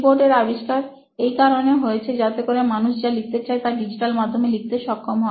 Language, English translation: Bengali, The invention of keyboards was so as or so that people could digitize what they wanted to write